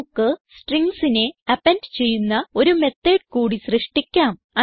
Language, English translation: Malayalam, We can create one more method which append strings